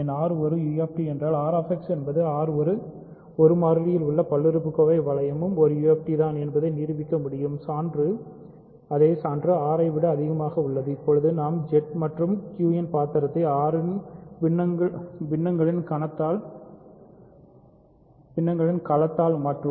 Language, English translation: Tamil, We can prove that if R is a UFD then R X is the polynomial ring in one variable over R is also a UFD, exactly the same proof carries over R, now we will play the role of Z and Q will be replaced by the field of fractions of R everything goes through